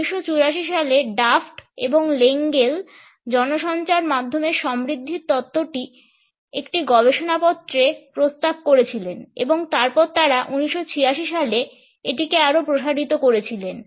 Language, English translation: Bengali, The media richness theory was proposed by Daft and Lengel in a paper in 1984 and then they further extended it in 1986